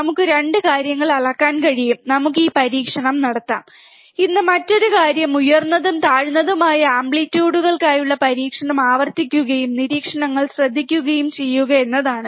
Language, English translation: Malayalam, We can measure both the things, and let us do this experiment, today another thing is repeat the experiment for higher and lower amplitudes and note down the observations